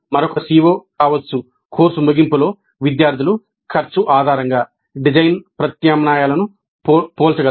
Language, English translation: Telugu, Another CO2 may be at the end of the course students will be able to compare design alternatives based on cost